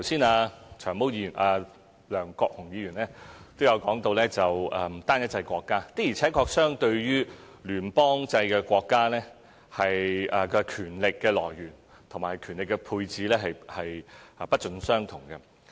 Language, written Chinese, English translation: Cantonese, 梁國雄議員剛才也提到單一制國家，的確，相對於聯邦制國家，共權力來源和權力配置是不盡相同的。, Just now Mr LEUNG Kwok - hung has also mentioned the framework of a unitary state which is indeed different from a federal state in terms of its source and delegation of power